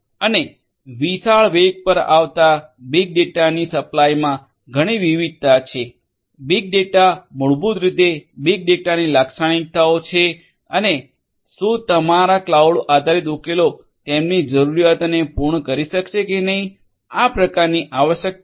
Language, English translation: Gujarati, And supplying large volumes of data coming at huge velocity is having high variety; big data basically essentially big data characteristics are there and whether your cloud based solutions will be able to cater to their requirements or not these kind of requirements